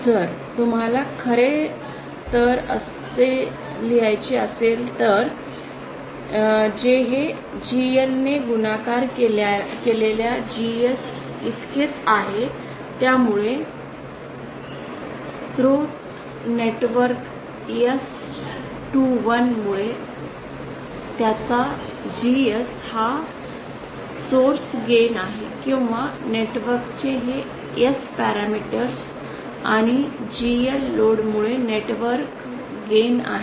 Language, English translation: Marathi, If you want in fact we can write it like this this is equal to GS multiplied by G0 multiplied by GL so his GS is the source gain gain due to the source network S21 is the gain due to the inherent or this S parameters of the network and GL is the gain due to the load network